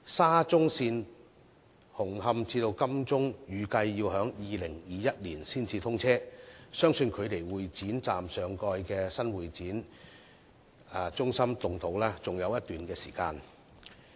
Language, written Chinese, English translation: Cantonese, 沙中線紅磡至金鐘段預計要到2021年才通車，相信距離會展站上蓋的新會展中心動土仍有一段長時間。, As the expected commissioning of the Hung Hom to Admiralty section of the Shatin to Central Link will be in 2021 it is believed that there is still a long way to go before the topside development of the new convention centre at the Exhibition Station actually breaks ground